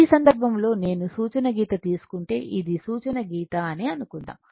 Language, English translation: Telugu, So, in that case suppose if I take a reference reference line this is my reference line